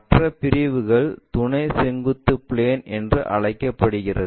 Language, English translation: Tamil, The other categories called auxiliary vertical plane